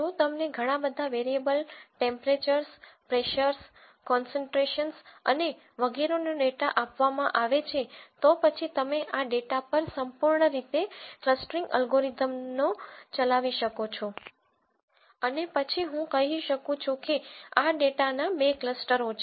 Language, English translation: Gujarati, If I let us say give you data for several variables temperatures, pressures, concentrations and so on ow for several variables then you could run a clustering algorithm purely on this data and then say I find actually that there are two clusters of this data